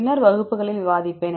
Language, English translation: Tamil, I will discuss in later classes